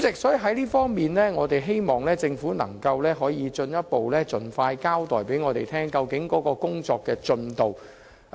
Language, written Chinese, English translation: Cantonese, 就此方面，我們希望政府可進一步盡快向我們交代有關的工作進度。, We hope that the Government can tell us more about the progress of work in this regard as soon as possible